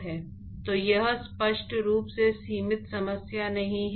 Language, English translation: Hindi, So, it is not a clearly bounded problem